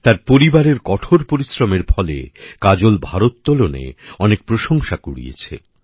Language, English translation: Bengali, This hard work of hers and her family paid off and Kajol has won a lot of accolades in weight lifting